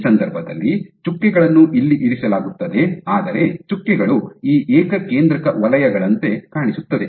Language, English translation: Kannada, So, in this case the dots will be positioned here and here, but the dots will appear like these concentric circles